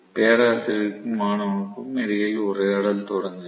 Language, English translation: Tamil, Conversation between professor and student starts